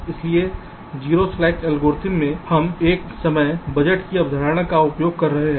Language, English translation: Hindi, ok, so in the zero slack algorithm we are using the concept of a time budget